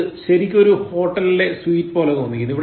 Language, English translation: Malayalam, It actually sounds like sweet in the hotel